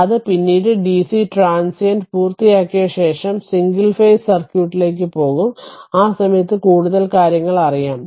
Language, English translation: Malayalam, So, that is later that is your after completing dc transient, we will go for single phases circuit at that time will know much more right